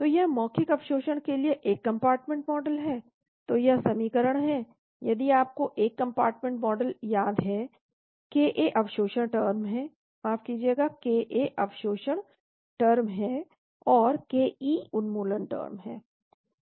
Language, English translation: Hindi, So this is one compartment model with the oral absorption, so this is the equation if you remember one compartment model ka is the absorption term sorry, ka is the absorption term and then ke is elimination term